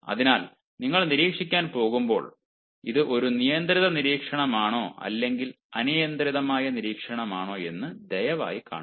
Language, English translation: Malayalam, so when you are going to observe, please see if it is a controlled observation or uncontrolled observation